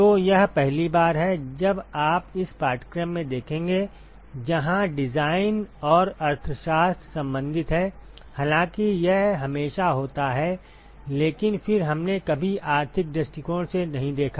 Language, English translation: Hindi, So, this is the first time you will see in this course where the design and the economics are related; although it is always there, but then we never looked at the economic point of view